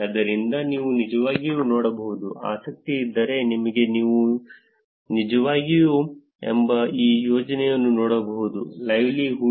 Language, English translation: Kannada, So, you can actually look at if you are interested you can actually look at this project called livelihoods